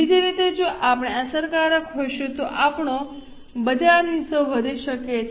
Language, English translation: Gujarati, Other way around if we are effective, our market share can increase